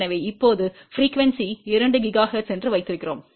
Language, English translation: Tamil, So, we now put frequency as 2 gigahertz